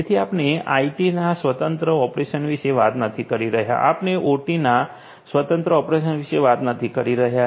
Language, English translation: Gujarati, So, we are not talking about independent operation of IT, we are not talking about independent operation of OT